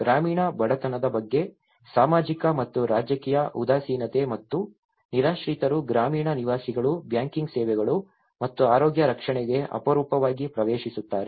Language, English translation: Kannada, The social and political indifference towards rural poverty and also the homelessness the rural residents rarely access to the banking services and even health care